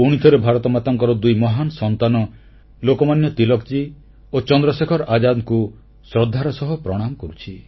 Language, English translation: Odia, Once again, I bow and pay tributes to the two great sons of Bharat Mata Lokmanya Tilakji and Chandrasekhar Azad ji